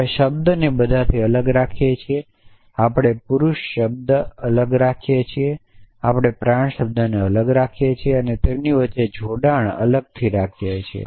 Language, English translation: Gujarati, We keep the word all separately; we keep the word men separately; we keep the word mortal separately and the connection between them separately